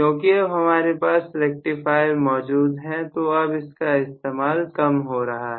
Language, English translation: Hindi, Now, that we use rectifiers quite a bit, slowly that is disappearing